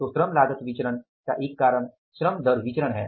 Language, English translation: Hindi, So, one cause of this labour cost variance is the labour rate of pay variance